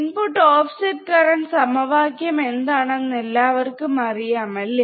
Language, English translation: Malayalam, So, for that input offset current, everybody knows what is the formula is